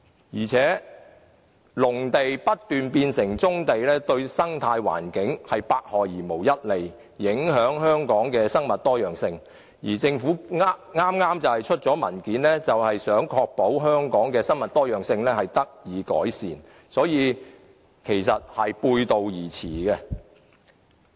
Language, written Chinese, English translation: Cantonese, 況且，農地不斷變成棕地，對生態環境百害而無一利，影響香港的生物多樣性，政府剛剛發出的文件便是想確保香港的生物多樣性得以改善，所以兩者是背道而馳的。, Besides when more and more agricultural sites are turned into brownfield sites it will do no good but harm to our environment and the biodiversity of Hong Kong . This is quite the opposite of what the Government advocates in a document issued recently which seeks to enhance the biodiversity of Hong Kong